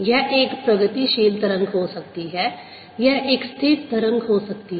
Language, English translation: Hindi, if travelling, it could be a stationary wave